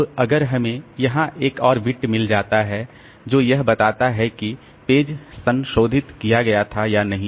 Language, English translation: Hindi, Now if we have got another bit here that tells like whether the page was modified or not